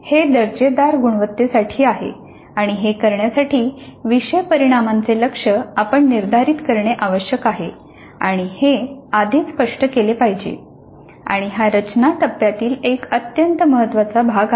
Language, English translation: Marathi, So this is closing the quality loop and in order to do this it is necessary that we must set attainment targets for the course outcomes and this must be done upfront and this is part of the design phase an extremely important part of the design phase